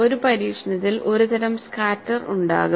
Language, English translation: Malayalam, In an experiment, there would be some sort of a scatter